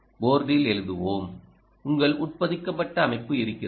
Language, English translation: Tamil, let us write on board, you have the embedded system